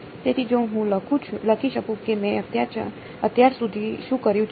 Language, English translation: Gujarati, So, if I write down so far what I have done